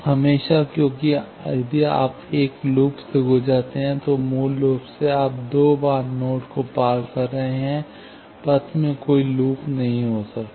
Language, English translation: Hindi, Always, because, if you traverse through a loop, basically, you are traversing the node twice, paths cannot contain any loops